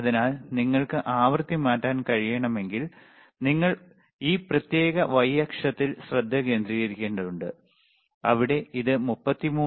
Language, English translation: Malayalam, So, again if you can change the say frequency, you see you have to concentrate on this particular the y axis, where it is showing 33